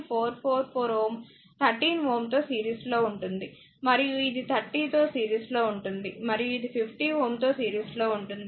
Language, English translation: Telugu, 444 ohm will series 13 and this will be series is 30 and this will be in series in 50